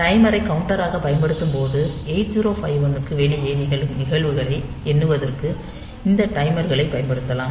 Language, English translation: Tamil, So, these timers can be used for counting events that occur outside 8051, when the timer is used as a counter